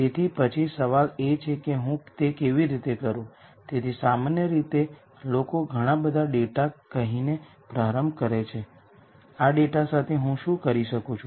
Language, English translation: Gujarati, So, the question then is how do I do it, so typically people start by saying lots of data what is it I can do with this data